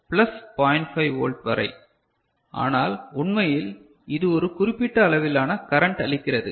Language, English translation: Tamil, 5 volt, but actually what it gives a particular range of current